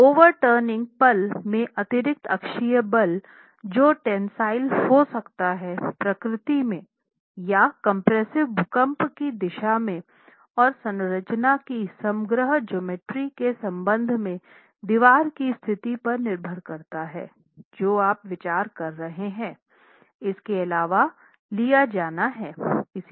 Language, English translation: Hindi, So, the additional axial force from the overturning moment which could be tensile in nature or compressive in nature depending on the direction of the earthquake and depending on the position of the wall with respect to the overall geometry of the structure that you are considering has to be in addition taken into account